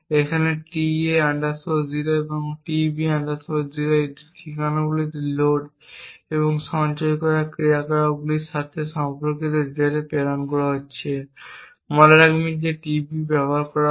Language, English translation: Bengali, Now tA 0 and tB 0 correspond to load and store operations to these addresses corresponding to the data being transmitted